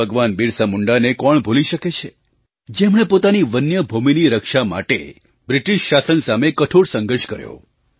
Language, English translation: Gujarati, Who can forget BhagwanBirsaMunda who struggled hard against the British Empire to save their own forest land